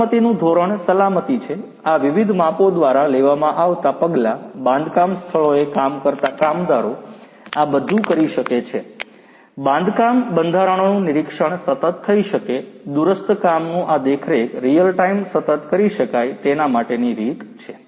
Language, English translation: Gujarati, The safety standards the safety, measures that are being taken by these different, workers in these construction sites all of these could be done, inspection of the construction structures could be done continuously, remotely this monitoring could be done in a real time continuous manner